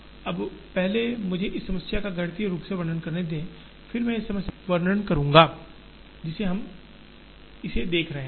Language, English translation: Hindi, Now, first let me describe this problem mathematically then I will describe this problem with respect to the context, in which we are looking at it